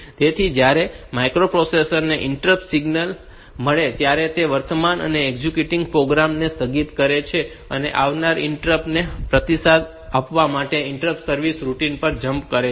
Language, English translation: Gujarati, So, when the microprocessor receives an interrupt signal, it suspends the currently executing program and jumps to the interrupt service routine to respond to the incoming interrupt